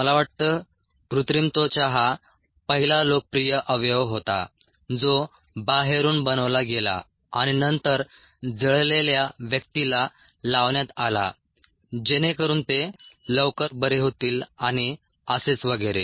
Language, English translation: Marathi, artificial skin was, i think, ah the first popular organ that was made outside and then ah put on to burned victims so that they could heal faster, and so on